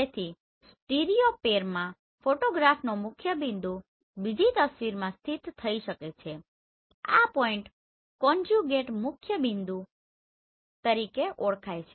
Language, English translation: Gujarati, So in a stereopair identified principal point of a photograph can be located in another image right this point is known as conjugate principal point